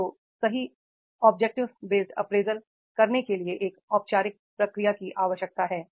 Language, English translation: Hindi, So to make the correct and objective based appraisal a formal procedure is needed